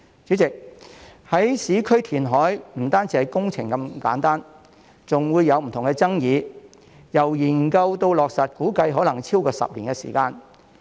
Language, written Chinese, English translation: Cantonese, 主席，市區填海不單是工程的問題這麼簡單，還會有不同的爭議，由研究到落實估計可能超過10年時間。, President reclamation in urban areas is not simply a matter of engineering works but comes with various controversies and is estimated to take over 10 years from study to implementation